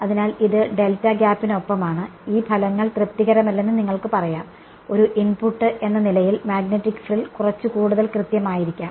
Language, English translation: Malayalam, So, this is with delta gap then you can say these results are not satisfactory, may be the magnetic frill is little bit more accurate as an input